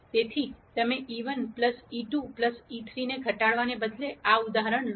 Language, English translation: Gujarati, So, you take this example instead of minimizing e 1 plus e 2 plus e 3